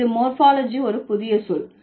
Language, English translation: Tamil, This is also a new term in morphology